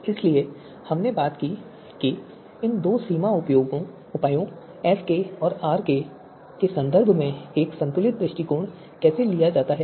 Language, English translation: Hindi, So we talked about how a balanced approach is taken in terms of these two boundary measures SK and RK